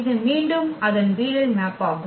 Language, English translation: Tamil, This again its a projection map